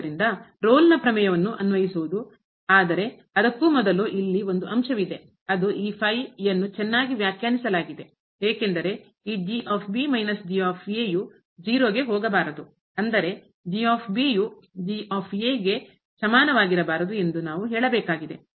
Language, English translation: Kannada, So, applying the Rolle’s theorem, but before that there is a point here that we have to tell that this is well define because this minus should not go to 0; that means, should not be equal to